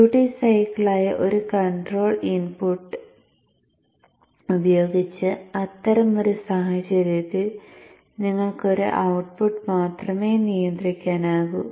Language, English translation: Malayalam, In such a case with one control input which is the duty cycle you can control only one output